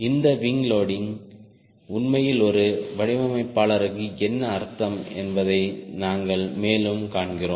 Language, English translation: Tamil, we further see what this wing loading actually wings an in designer